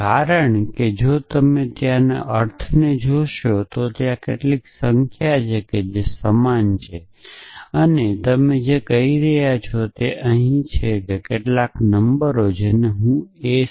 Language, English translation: Gujarati, Because if you look at the meaning of the there is some number which is even and all you have do saying is here that there some numbers which I am calling s k 12